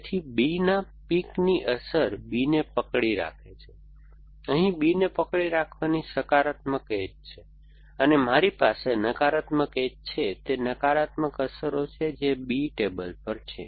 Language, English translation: Gujarati, So, the effect of pick of B is holding B, so I have a positive edge from this to holding B and I have negative edges to it is negative effects which is on table B